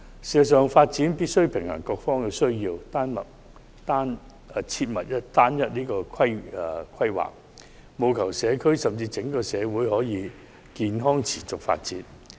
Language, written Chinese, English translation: Cantonese, 事實上，發展必須平衡各方的需要，規劃時切忌側重某一方，否則社區甚至整個社會難以健康持續地發展。, Indeed for development a balance must be struck between the needs of various parties . Planning must not be done by skewing to one side otherwise healthy development would be hard to sustain in the community concerned or society at large for that matter